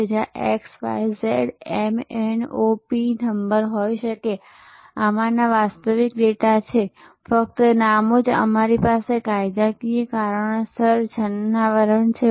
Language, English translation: Gujarati, So, there can be X, Y, Z, M, N, O, P number of these are actual data, only the names we have camouflage for legal reasons